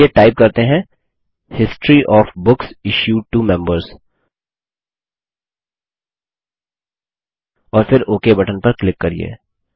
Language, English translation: Hindi, Let us type History of Books Issued to Members and then click on Ok button